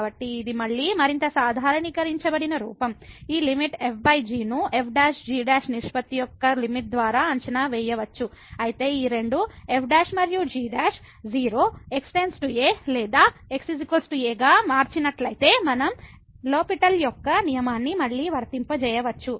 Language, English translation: Telugu, So, the this is again more generalized form that this limit over can be evaluated by the limit of the ratio of prime prime, but if these two prime and prime become as goes to or is equal to then we can again apply the L’Hospital’s rule